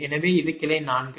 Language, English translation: Tamil, so this is branch four